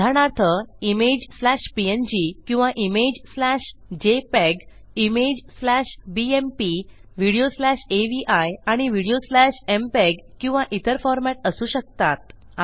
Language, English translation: Marathi, For example this can be image slash png or image slash jpeg, image slash bmp , video slash avi and video slash mpeg or some other format